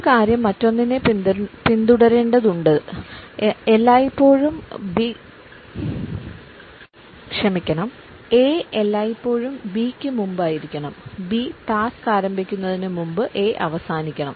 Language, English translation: Malayalam, One thing has to follow the other and A should always precede B and A should end before the task B begins